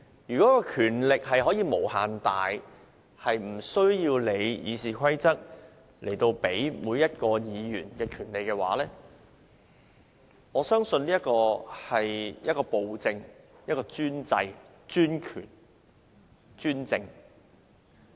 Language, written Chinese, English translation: Cantonese, 如果權力可以無限大，無須理會《議事規則》賦予每位議員的權利，我相信這是暴政、專制、專權、專政。, If a person has infinite powers to the extent of ignoring the rights vested in every Member by RoP I believe this is tyranny autocracy monocracy and dictatorship